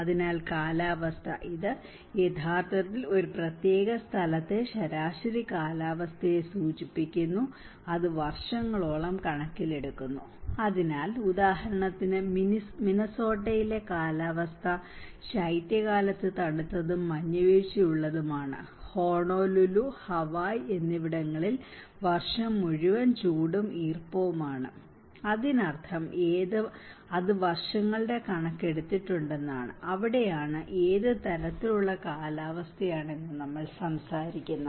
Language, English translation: Malayalam, So, climate; it actually refers to the average weather conditions in a particular place, and it takes account of many years, so, for example, a climate in Minnesota is cold and snowy in winter and climate is Honolulu, Hawaii is warm and humid all year long, so which means it has taken the account of many years and that is where we are talking about what kind of climate it have